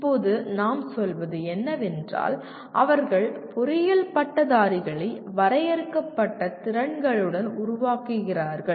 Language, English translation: Tamil, Now what we say, they produce engineering graduates with defined abilities